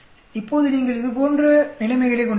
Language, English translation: Tamil, Now you can have situations like this